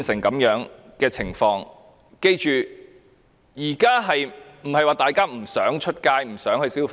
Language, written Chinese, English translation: Cantonese, 我們要緊記，現在不是說大家不想外出消費。, We have to bear in mind that we are not talking about peoples refusal to go out for consumption